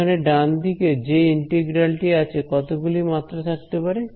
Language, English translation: Bengali, Whereas on the right hand side is an integral in how many dimensions